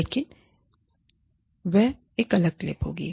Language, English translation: Hindi, But, that will be a separate clip